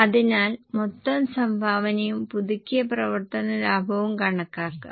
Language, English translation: Malayalam, So, compute the total contribution and the revised operating profit